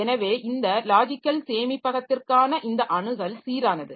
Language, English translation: Tamil, So, this access to this logical storage is uniform